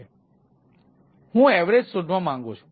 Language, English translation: Gujarati, so i want to make a average